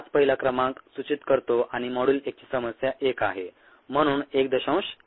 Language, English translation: Marathi, that is what the first number indicates and this is problem one of module one